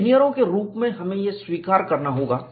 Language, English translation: Hindi, As engineers, we will have to accept that